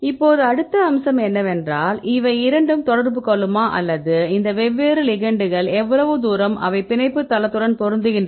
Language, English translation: Tamil, Now the next aspect is whether these two will interact or how far these pose of these different ligands they can fit with the binding site right